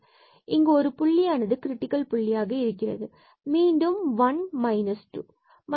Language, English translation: Tamil, So, here there is a point where there will be a critical point, again here the plus 1 and then we have a minus 2